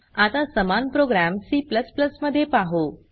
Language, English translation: Marathi, Now let us see the same program in C++